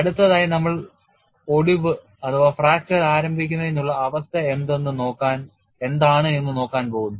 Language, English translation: Malayalam, Next we move on to what is the condition for onset of fracture